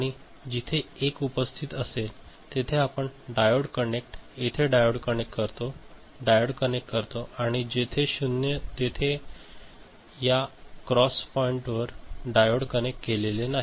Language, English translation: Marathi, And wherever 1 is present you connect a diode, connect a diode, connect a diode and wherever 0 is there at that cross point no diode is connected